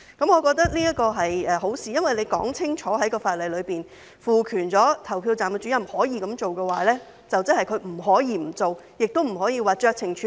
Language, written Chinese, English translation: Cantonese, 我覺得這是好事，因為在法例裏清楚說明賦權投票站主任可以這樣做的話，即是他不可以不做，亦不可以僅僅酌情處理。, I think this is good because if it is explicit stated in the legislation that the Presiding Officer is empowered to do so that means he cannot refrain from doing so . Neither can he merely exercise his discretion